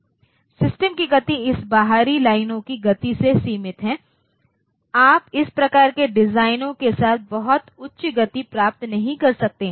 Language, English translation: Hindi, So, the speed of the system is limited by this speed of this external lines, so you cannot achieve very high speed with this type of designs